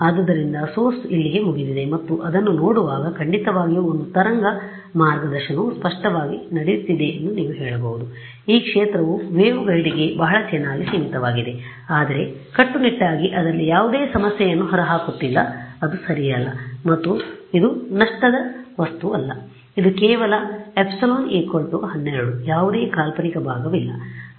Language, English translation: Kannada, So, the source was over here and looking at this can you say that there is definitely a wave guiding happening clearly right the field is very nicely confined to the waveguide, but not strictly some of it is leaking out no problem right it is not and this is not a lossy material, it is just epsilon equal to 12 there is no imaginary part